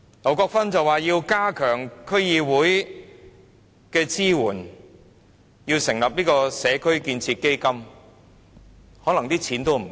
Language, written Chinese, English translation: Cantonese, 劉國勳議員說要加強對區議會的支援，成立"社區建設基金"，但可能錢並不足夠。, Mr LAU Kwok - fan stressed the need to enhance the support to DCs and DC members and establish a community building fund but there may not be sufficient funds